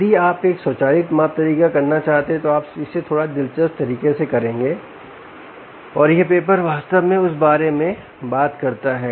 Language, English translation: Hindi, if you want to do an automatic measurement way, you would do it, ah, in a slightly interesting manner, and this paper actually talks about that